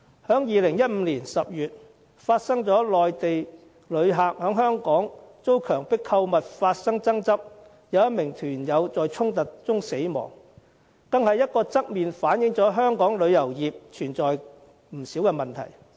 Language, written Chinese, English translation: Cantonese, 在2015年10月，有內地旅客在香港因遭強迫購物而發生爭執，有1名團友在衝突中死亡，這個案便側面反映出香港旅遊業存在不少問題。, In October 2015 some Mainland visitors to Hong Kong were involved in a dispute arising from coerced shopping and one member of the tour group died during confrontation . This case indirectly reveals a number of problems in our tourism industry